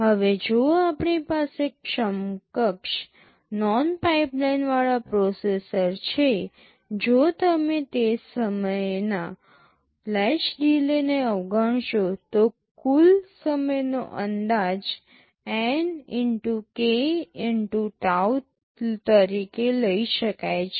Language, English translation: Gujarati, Now, if we have an equivalent non pipelined processor, if you ignore the latch delays for the time being, then the total time can be estimated as N x k x tau